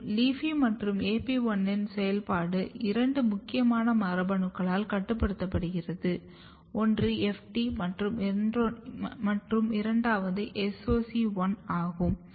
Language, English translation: Tamil, And the activity of LEAFY1 and AP1 is regulated by two another important gene one is FT and second one is SOC1